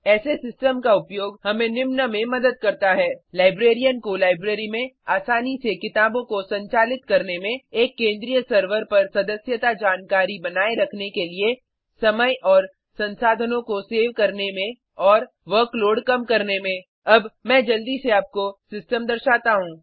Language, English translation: Hindi, The use of such a system helps The librarian to manage the books in the library easily To maintain membership information on one centralized server To save time and resources and To reduce the workload Now, let me quickly show you the system